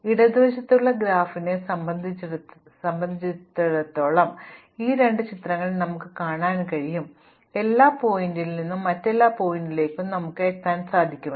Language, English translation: Malayalam, So, you can see in these two pictures that the graph on the left is connected, because you can go from every vertex to every other vertex